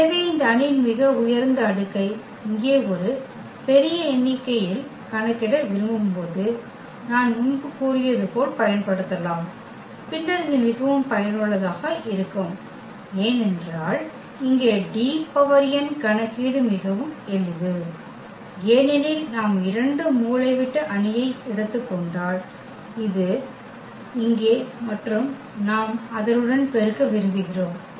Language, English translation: Tamil, So, we can use as I said before when we want to compute this very high power of this matrix a large number here and then this is very very useful because D power n the computation here is very simple because if we take 2 diagonal matrix for example, this here and we want to multiply with the same